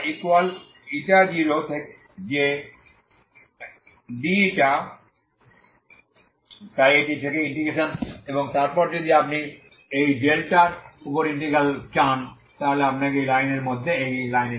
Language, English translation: Bengali, So η equal to ξ0 to η equal to η0that is dη so that is integration from this and then if you want integral over this delta so you should take between this line to this line that is ξ